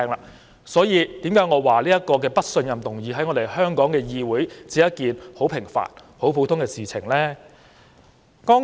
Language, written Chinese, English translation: Cantonese, 此所以我說在香港議會，"不信任"議案只是很平凡和普通的事情。, That is why as I said just now that moving a no - confidence motion in the legislature of Hong Kong is a mundane and unremarkable affair